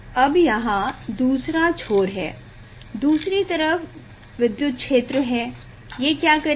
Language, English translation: Hindi, after that there is the other end, other side there is the electric field, what it will do